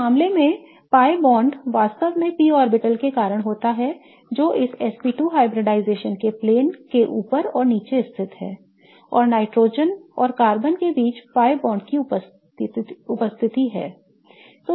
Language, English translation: Hindi, The pi bond in this case really results because of the p orbital that lies above and below the plane of this SP2 hybridization and there is a presence of a pi bond between nitrogen and carbon